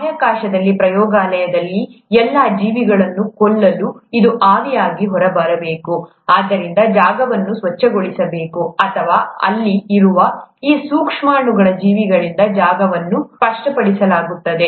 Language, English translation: Kannada, This has to come out into the vapour to kill all the organisms, in the space, in the lab so that the space is made clean or the space is made clear of these micro organisms that are present there